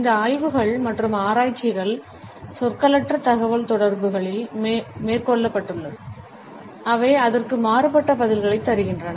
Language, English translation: Tamil, When these studies and researches were taken up in nonverbal communication, they excerpt different responses to it